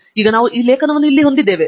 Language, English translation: Kannada, Now we have this article here